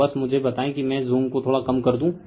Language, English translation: Hindi, So, just tell let me let me reduce the zoom little bit right